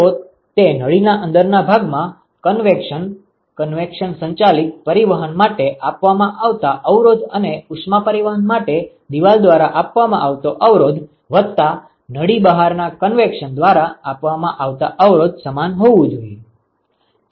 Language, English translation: Gujarati, So, that should be equal to the resistance offered for convection, convection driven transport in the inside of the tube plus the resistance offered by wall for heat transport, plus resistance offered by convection outside the tube ok